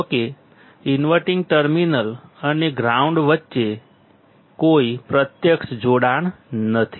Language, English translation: Gujarati, Though there is no physical connection between the inverting terminal and the ground